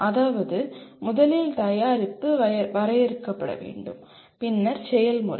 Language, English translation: Tamil, That means first the product has to be defined and then the process